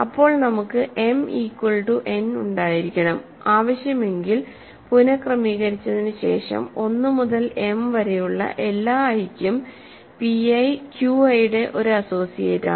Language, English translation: Malayalam, Then we must have m equal to n and after reordering if needed p i is an associate of q i for all i from 1 to m